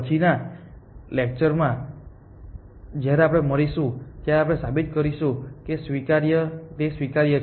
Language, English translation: Gujarati, In the next class, when we meet we will prove that it is admissible